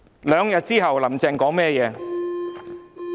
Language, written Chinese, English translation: Cantonese, 兩天後，"林鄭"說甚麼話？, Two days after that what did Carrie LAM say?